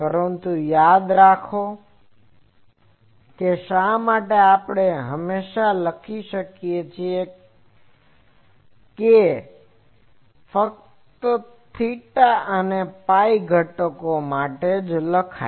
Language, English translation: Gujarati, But remember that is why we always write here that it is for theta and phi components theta and phi components only